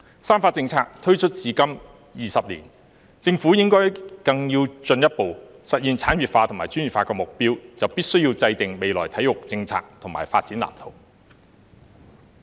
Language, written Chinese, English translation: Cantonese, "三化政策"推出至今20年，政府要更進一步實現產業化和專業化的目標，便必須制訂未來體育政策及發展藍圖。, Twenty years after the introduction of the threefold strategy the Government must formulate sports policy and development blueprint for the future if it is to further realize its goals of industrialization and professionalization